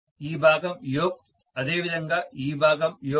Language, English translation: Telugu, This portion is the yoke, similarly this portion is the yoke